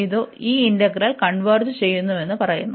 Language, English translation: Malayalam, This integral converges